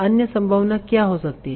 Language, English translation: Hindi, So what can be other possibility